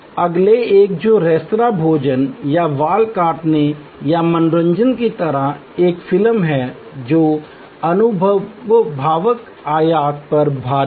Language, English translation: Hindi, The next one which is kind of services like restaurant meals or haircut or entertainment a movie, heavy on the experiential dimension